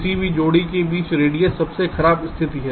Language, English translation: Hindi, radius is the worst case: distance between any pair of vertices